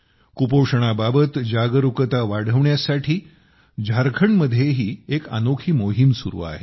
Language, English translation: Marathi, A unique campaign is also going on in Jharkhand to increase awareness about malnutrition